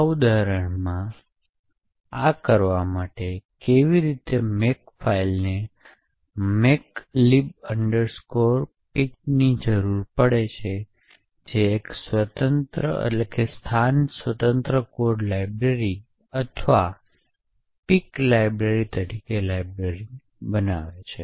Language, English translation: Gujarati, So, in order to do this in this example how a makefile would require makelib pic which would generate the library as a position independent code library or a pic library